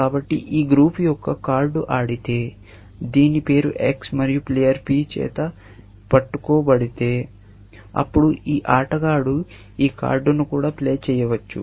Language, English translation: Telugu, So, if there is a card of this group is played, whose name is X and is held by player P, then this player can play this card